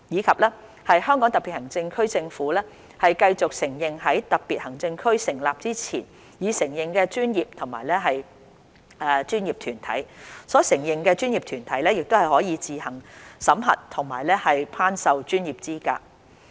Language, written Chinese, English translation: Cantonese, "及"香港特別行政區政府繼續承認在特別行政區成立前已承認的專業和專業團體，所承認的專業團體可自行審核和頒授專業資格。, and The Government of the Hong Kong Special Administrative Region shall continue to recognize the professions and the professional organizations recognized prior to the establishment of the Region and these organizations may on their own assess and confer professional qualifications